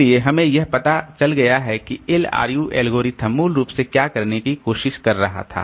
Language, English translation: Hindi, So basically we have got this we have to what the LRU algorithm was trying to do